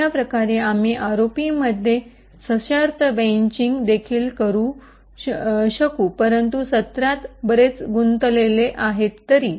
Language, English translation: Marathi, In a similar way we could also have conditional branching as well implemented in ROP although the techniques are much more involved